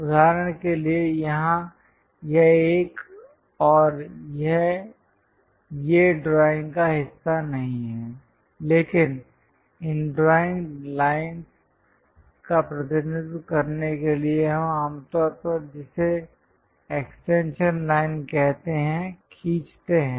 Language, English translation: Hindi, For example, here this one and this one these are not part of the drawing, but to represent these dimension line we usually draw what is called extension line